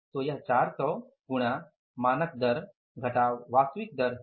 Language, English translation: Hindi, So this is the 400 into standard rate minus actual rate